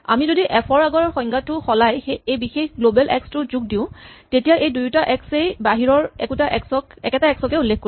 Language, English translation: Assamese, If we change our earlier definition of f, so that we add this particular tag global x then it says that this x and this x both refer to the same x outside